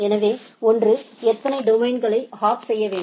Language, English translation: Tamil, So, one is that how many domains need to be hopped